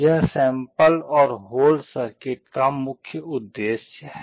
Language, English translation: Hindi, This is the main purpose of sample and hold circuit